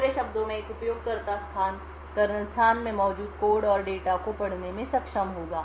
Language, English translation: Hindi, In other words, a user space would be able to read code and data present in the kernel space